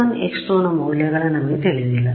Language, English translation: Kannada, We do not know the value of x 1 and x 2